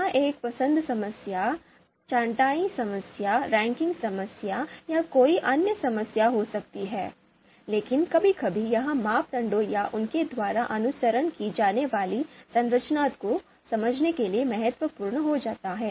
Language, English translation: Hindi, It could be choice problem, sorting problem, ranking problem, or any other problem, but sometimes it becomes important to understand the structure of the criteria, the structure that they follow